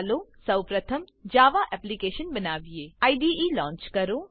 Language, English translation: Gujarati, Let us first create the Java Application: Launch the IDE